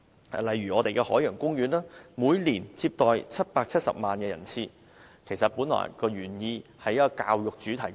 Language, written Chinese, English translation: Cantonese, 舉例說，每年接待770萬人次旅客的海洋公園，原本是作為一個教育主題公園。, For example the Ocean Park which receives 7.7 million visitors per year was initially established as an educational theme park